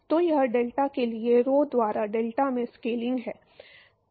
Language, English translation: Hindi, So, that is the scaling for deltaP by rho into delta